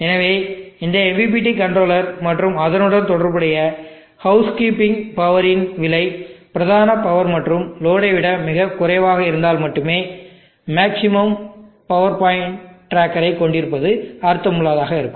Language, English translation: Tamil, So it makes sense to have a maximum power point tracker only if the cost of this MPPT controller and the associated housekeeping power is much lesser than the main power and the load